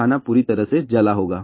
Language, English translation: Hindi, The food will be totally charred